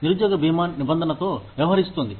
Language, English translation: Telugu, Unemployment insurance, deals with the provision